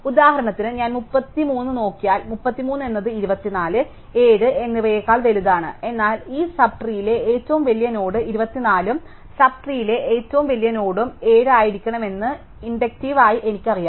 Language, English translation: Malayalam, So, if I look at 33 for example, 33 is bigger than 24 and 7, but inductively I know that 24 must be the biggest node in this sub tree and 7 must be the biggest node in the sub tree